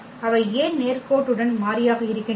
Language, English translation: Tamil, Why they are linearly independent